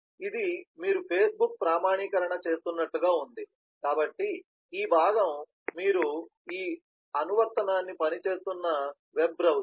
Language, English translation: Telugu, this is as if you are doing a facebook authentication, so this is the web browser through which you are working this application